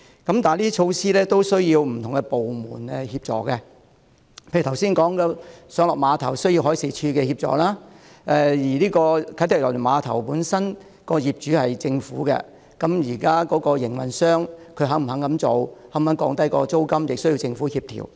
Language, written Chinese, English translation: Cantonese, 然而，這些措施均需要不同的部門協助，例如剛才提到的碼頭需要海事處協助；而啟德郵輪碼頭的業主雖然是政府，但現時的營運商是否願意這樣做和是否願意降低租金呢？, However these initiatives require the assistance of various departments . The pier initiative I mentioned just now for instance requires the assistance of the Marine Department . Although KTCT is owned by the Hong Kong Government is the current operator willing to do so and lower the rents of shops?